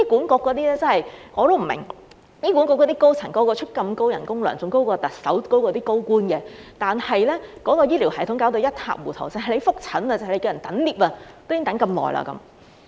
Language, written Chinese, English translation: Cantonese, 我真的不明白，醫管局那些高層人人薪金如此高，較特首和高官更高，但醫療系統卻弄至一塌糊塗，就連覆診等候升降機，也要等那麼久。, I really do not understand why all the senior management staff of the Hospital Authority HA are so well - paid earning even higher salaries than the Chief Executive and senior government officials and yet the healthcare system is such a mess even the waiting time for lifts to attend follow - up appointments is unduly long